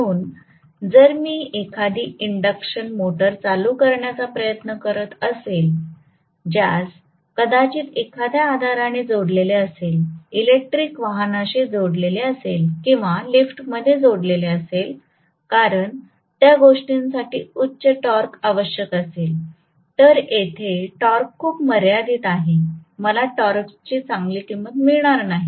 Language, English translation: Marathi, So it is not a great option if I am trying to start an induction motor which is probably coupled to a hoist, coupled to an electric vehicle or coupled to an elevator because those things require a high starting torque, whereas here the torque is going to be very very limited, I am not going to get a good amount of torque